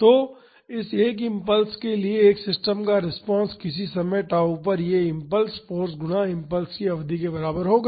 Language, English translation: Hindi, So, the response of a system to this one impulse at say time tau will be equal to the impulse will be equal to the force times, the duration of the impulse